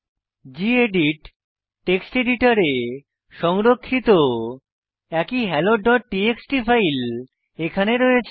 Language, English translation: Bengali, Hey, we can see that the same hello.txt file what we saved from gedit text editor is here